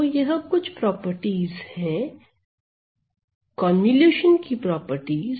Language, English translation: Hindi, So, it these are some of the properties, properties of convolution right